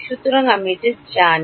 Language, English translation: Bengali, So, I know this